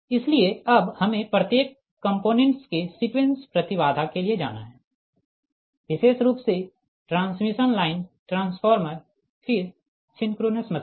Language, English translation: Hindi, so that is now we have to go for sequence impedance of each component, particularly the transmission line, transformers, then synchronous machine